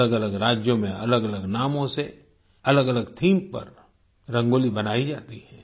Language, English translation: Hindi, Rangoli is drawn in different states with different names and on different themes